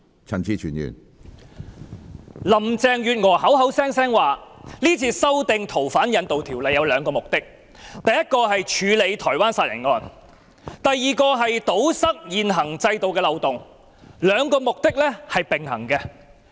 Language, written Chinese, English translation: Cantonese, 林鄭月娥口口聲聲表示是次修訂《逃犯條例》有兩個目的，第一，是處理台灣殺人案；第二，是堵塞現行制度的漏洞，兩個目的並行。, Carrie LAM claimed that by amending the Fugitive Offenders Ordinance this time two purposes would be served in parallel . First it would address the problems of the homicide case in Taiwan; and second it would plug the loopholes in the current system